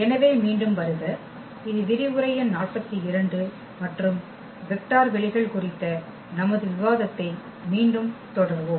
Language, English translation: Tamil, So, welcome back and this is lecture number 42 and we will continue our discussion on Vector Spaces again